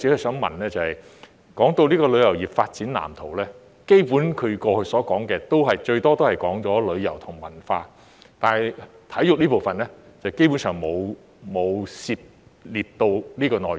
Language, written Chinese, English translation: Cantonese, 說到《發展藍圖》，基本上他過去所說的，最多也只是提到旅遊和文化，但體育這部分，基本上沒有涉獵到相關內容。, When it comes to the Blueprint what he has previously mentioned on the whole is only tourism and culture yet the part on sports has basically not been touched upon